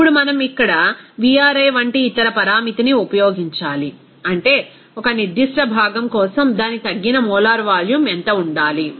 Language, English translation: Telugu, Now, we need to use the other parameter like here Vri that means for a particular component, what should be its reduced molar volume